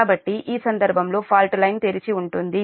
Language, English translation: Telugu, so in this case, fault line is open